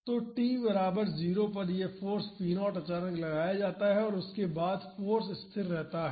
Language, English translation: Hindi, So, at t is equal to 0 this force p naught is suddenly applied and after that the force is constant